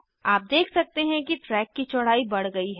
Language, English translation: Hindi, You can see that the width of the track has increased